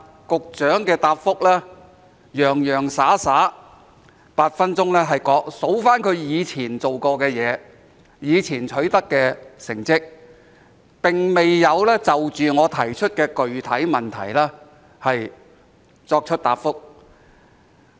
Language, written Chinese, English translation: Cantonese, 局長在剛才的答覆，洋洋灑灑以8分鐘提及他以前做過的事，以前取得的成績，並未就我提出的具體質詢作答。, In his main reply just now the Secretary spent eight minutes mentioning at great length what he had done and what he had achieved in the past without giving an answer to my specific question